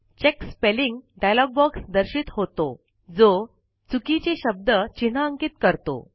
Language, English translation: Marathi, The Check Spelling dialog box appears, highlighting the misspelled word